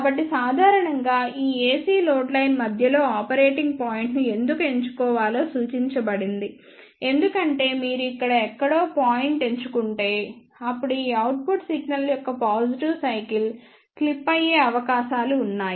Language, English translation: Telugu, So, in general it is suggested that one should choose the operating point in the middle of this AC load line why this is chosen, because if you choose point somewhere here then there are chances that the positive cycle of this output single may get clipped